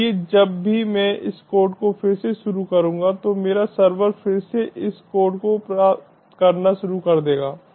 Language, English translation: Hindi, so whenever i start this code again, my server will again start receiving this code